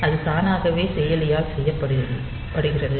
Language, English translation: Tamil, So, that is done automatically by the processor